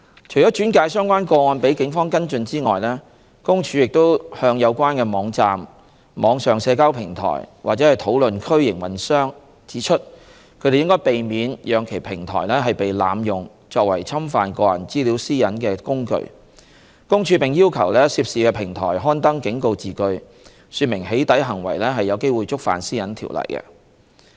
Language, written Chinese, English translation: Cantonese, 除轉介相關個案予警方跟進外，公署亦向有關網站、網上社交平台或討論區營運商指出，他們應避免讓其平台被濫用作為侵犯個人資料私隱的工具，公署並要求涉事平台刊登警告字句，說明"起底"行為有機會觸犯《私隱條例》。, Apart from referring the cases to the Police for follow - up PCPD has also reminded operators of relevant websites online social media platforms or discussion forums that they should prevent their platforms from being abused as a tool for infringing personal data privacy . It has also requested the operators concerned to issue on their platforms warnings to netizens that doxxing behaviour may violate PDPO